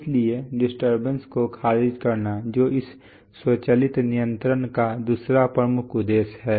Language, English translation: Hindi, So thereby rejecting disturbances, so that is the other prime objective of automatic controls